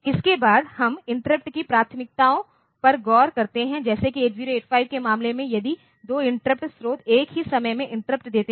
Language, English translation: Hindi, Next we look into the interrupt priorities like what if 2 interrupt sources interrupt at the same time in case of 8085